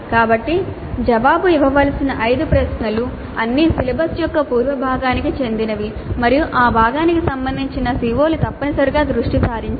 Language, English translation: Telugu, So the five questions to be answered will all belong to the earlier part of the syllabus and the COs related to that part are essentially focused upon